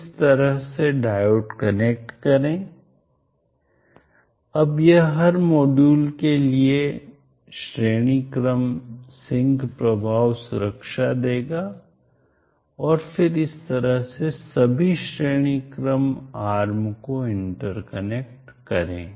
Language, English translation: Hindi, Connect the diodes like this across, now this will give the series sync effect protection for every module and then interconnect all the series arms in this fashion